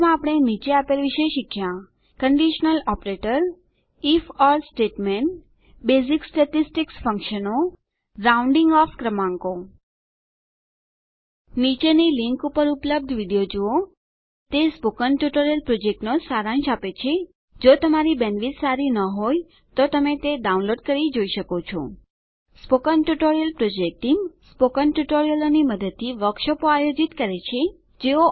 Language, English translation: Gujarati, To summarize, we learned about: Conditional Operator If..Or statement Basic statistic functions Rounding off numbers Watch the video available at the following link It summarises the Spoken Tutorial project If you do not have good bandwidth, you can download and watch it The Spoken Tutorial Project Team Conducts workshops using spoken tutorials